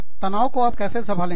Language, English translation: Hindi, How do you manage stress